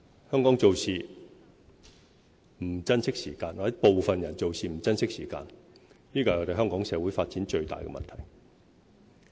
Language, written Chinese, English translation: Cantonese, 香港做事不珍惜時間，或者部分人做事不珍惜時間，這是香港社會發展最大的問題。, Time is not cherished by Hong Kong or by some people of Hong Kong and that is the biggest problem affecting the development of our society